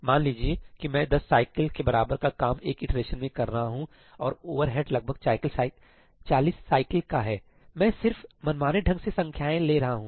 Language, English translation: Hindi, Let us say that I am doing 10 cycles worth of work in one iteration and the overhead is about 40 cycles I am just arbitrarily cooking up numbers